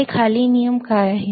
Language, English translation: Marathi, So, what are these following rules